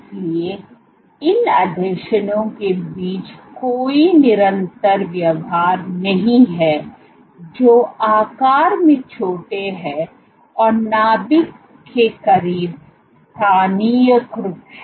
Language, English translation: Hindi, So, there is no constant behavior among these adhesions which are small in size and close localized close to the nucleus